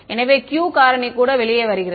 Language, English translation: Tamil, So, the Q factor also comes out